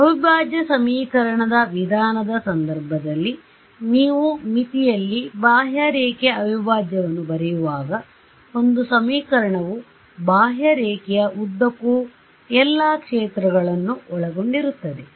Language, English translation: Kannada, In the case of the integral equation method when you write a contour integral on the boundary, that one equation involves all the fields along the contour